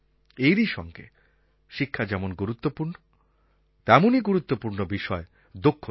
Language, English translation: Bengali, Along with importance to education, there is importance to skill